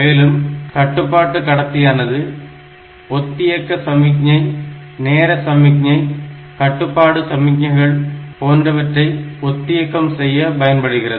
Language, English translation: Tamil, And there is control bus; so they are for synchronization of synchronization signal, timing signal, control signals etcetera